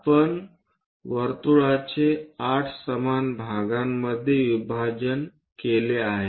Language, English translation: Marathi, We have divided a circle into 8 equal parts